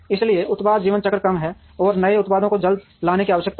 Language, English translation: Hindi, So, product life cycles are shorter, and there is a need to bring new products quickly